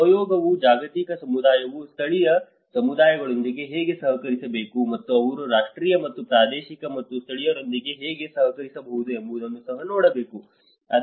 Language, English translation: Kannada, Collaboration also has to look at how the global community can collaborate with the local communities and how they can cooperate with the national and regional and local